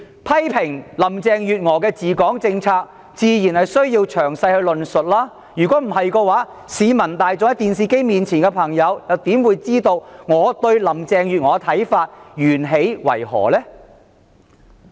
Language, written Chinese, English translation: Cantonese, 批評林鄭月娥的治港政策，自然需要詳細論述，不然市民大眾和正在收看電視直播的觀眾又怎能了解我對林鄭月娥的看法源起為何呢？, Criticisms of Mrs Carrie LAMs policies on Hong Kong naturally require a detailed discussion or else how can the general public and the audience watching the live broadcast on television possibly know why I have such views on Mrs Carrie LAM in the first place?